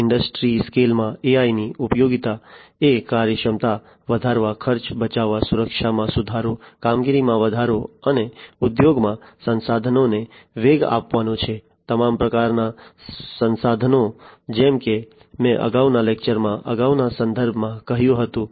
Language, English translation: Gujarati, The usefulness of AI in the industry scale are to increase the efficiency, save costs, improve security, augment performance and boost up resources in the industries; resources of all kind as I said in a previous context in a previous lecture before